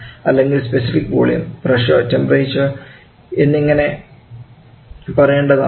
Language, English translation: Malayalam, Or, I should say the specific volume pressure and temperature